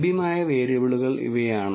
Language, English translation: Malayalam, These are the variables that are available